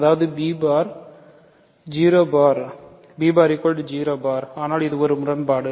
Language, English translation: Tamil, That means b bar is 0 bar, but this is absurd right